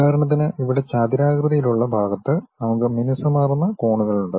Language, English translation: Malayalam, For example, here that rectangular portion we have a smooth corners